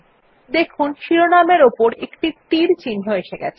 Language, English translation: Bengali, You see that an arrow mark appears on the headings